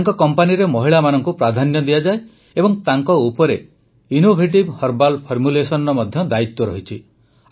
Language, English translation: Odia, Priority is given to women in this company and they are also responsible for innovative herbal formulations